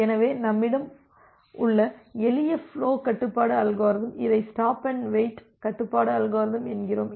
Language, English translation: Tamil, So, the simplest flow control algorithm that we have, we call it as a stop and wait flow control algorithm